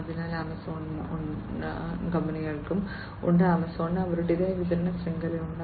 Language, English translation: Malayalam, So, Amazon has, every company has, Amazon also has their own supply chain